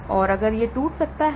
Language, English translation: Hindi, So, BBB can also break down